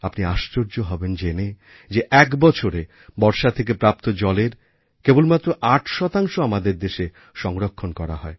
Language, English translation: Bengali, You will be surprised that only 8% of the water received from rains in the entire year is harvested in our country